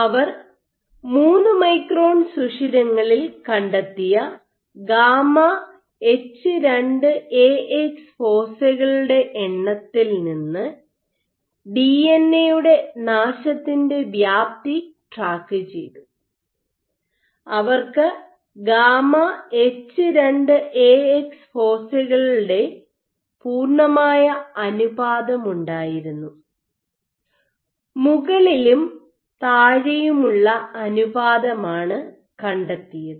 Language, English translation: Malayalam, So, they track the extent of DNA damage by the number of gamma H2Ax foci what they found was in 3 micron pores whatever with the gamma is with they had a solid ratio of gamma H2Ax foci and what they did was the tract that they found the ratio at the top versus and over the bottom